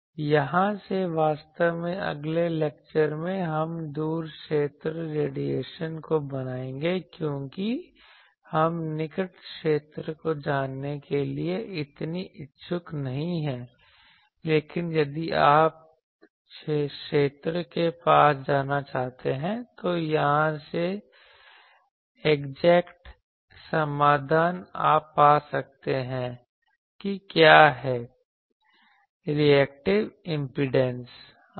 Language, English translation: Hindi, From here actually, we will next in the next lecture, we will make the far field radiation because we are not so interested to know the near field, but if you want to know near field, this is the exact solution from here you can find and if because if you want to compute suppose the near field, what is the reactive impedance etc